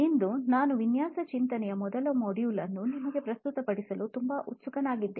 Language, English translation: Kannada, Today, I am very excited to present to you the first module of design thinking